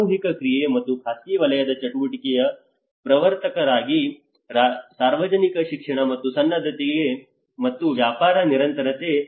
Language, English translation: Kannada, As a promoters of the collective action and private sector activity that is where the public education and preparedness and business continuity